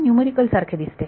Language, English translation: Marathi, It looks like a numerical